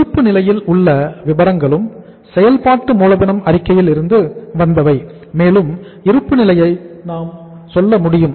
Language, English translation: Tamil, In the balance sheet also most of the items have come from the working capital statement and we are able to tell you the balance sheet also